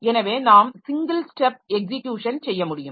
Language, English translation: Tamil, So, you should be able to single step execution